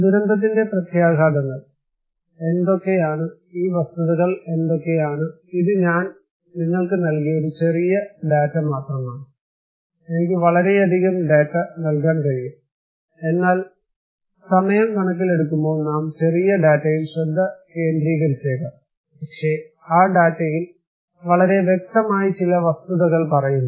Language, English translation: Malayalam, what are the impacts of disaster, what are these facts, this is a small data I have given you, I can give you a lot more data, but for the considering the time, we may focus on small data, but that data is telling us few points, pretty clearly